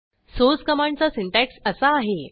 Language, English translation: Marathi, The syntax for Source command is as follows